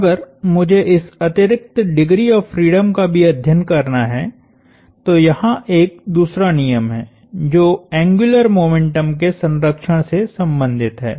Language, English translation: Hindi, That if I have to also study this additional degree of freedom, then there is a second law which pertains to conservation of angular momentum